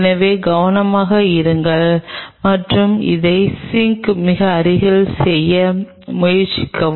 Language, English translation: Tamil, So, just be careful and try to do it very close to the sink